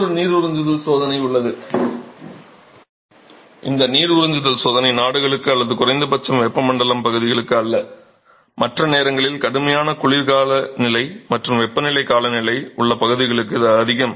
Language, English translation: Tamil, There is another water absorption test and this water absorption test is not so much for countries or at least the tropical regions, it is more for regions where you have extreme cold weather and warm climates during other times of the year